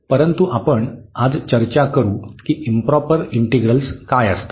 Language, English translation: Marathi, But, now we will discuss today what are the improper integrals